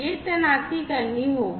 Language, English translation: Hindi, This deployment will have to be done